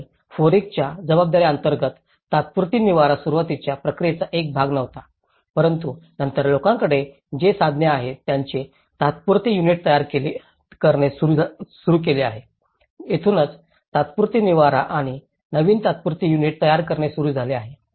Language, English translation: Marathi, And under the FOREC responsibilities, temporary shelters was not been a part in the initial process but then, people have started building their temporary units whatever the resources they had so, this is where the temporary shelters and building new temporary units have already started, in whatever the lands they are not available